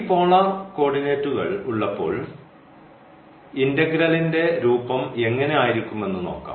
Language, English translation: Malayalam, So, now, how the integral will take the form when we have this polar coordinates